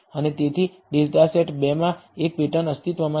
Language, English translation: Gujarati, And so, therefore, there exists a pattern in the data set 2